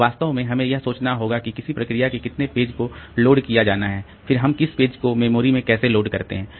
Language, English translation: Hindi, So, that is actually we have to think about like the how many pages of a process be loaded, then how which pages do we load into memory